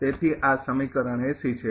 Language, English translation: Gujarati, So, from this is equation 80